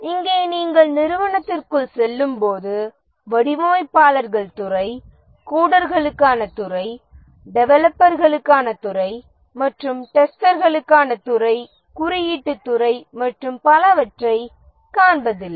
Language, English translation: Tamil, Here when you walk into the organization, you don't see the departments, the department of designers, department for coders, department for testers, and so on, the testing department, coding department, and so on